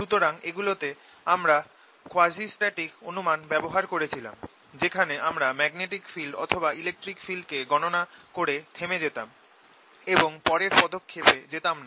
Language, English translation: Bengali, so we were using in all this something called the quasistatic approximation, where we stopped after calculating the magnetic field or electric field and did not go beyond to the next step